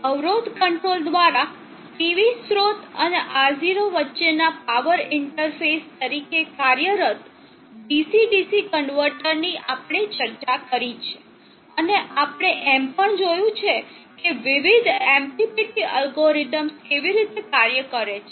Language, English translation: Gujarati, We have discussed the DC DC converter acting as the power interface between the PV source and R0 by impedance control and we have also seen how the various MPPT algorithms operate